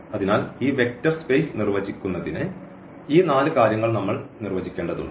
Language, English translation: Malayalam, So, we need to define these four four things to define this vector space